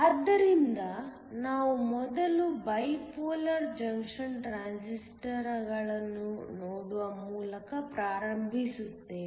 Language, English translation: Kannada, So we will first start by looking at Bipolar Junction Transistors